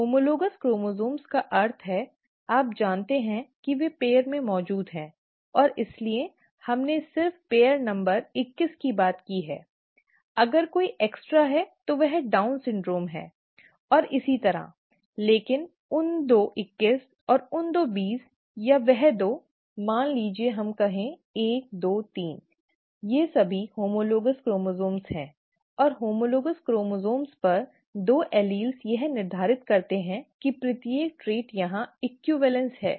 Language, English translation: Hindi, On homologous chromosomes means, you know that they exist in pairs and therefore, we just talked of pair number twenty one, if there is an extra one, that’s Down syndrome and so on, but those two twenty ones or those two twenties or those two, let us say one two three, they are all homologous chromosomes; and two alleles on homologous chromosomes determine each trait is what Mendel is the equivalence here